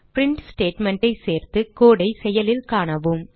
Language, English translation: Tamil, now Let us add a print statement and see the code in action